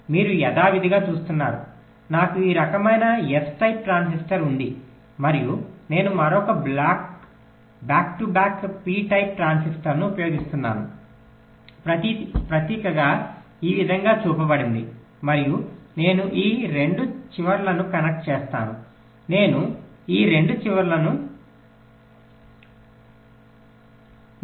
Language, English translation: Telugu, you see, just as usual, i have a, this kind of a n type transistor, and i use another back to back p type transistor, symbolically shown like this, and i connect these two ends